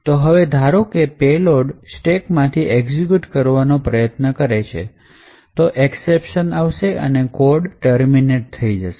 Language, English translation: Gujarati, Now by chance if let us say the payload is trying to execute from that particular stack then an exception get raised and the code will terminate